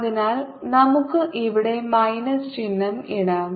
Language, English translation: Malayalam, so let's put minus sin here